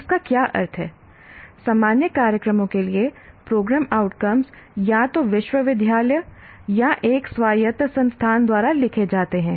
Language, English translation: Hindi, Okay, what it means is program outcomes for general programs are written by the, either the university or an autonomous institution